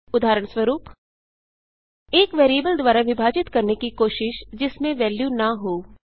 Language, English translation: Hindi, For example: Trying to divide by a variable that contains no value